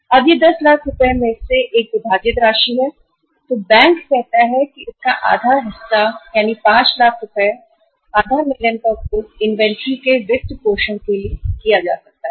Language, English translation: Hindi, Now when it is a divided sum for example out of 2 uh 10 lakh rupees company bank says that half of the amount, 5 lakh rupees, half a million can be used for funding the inventory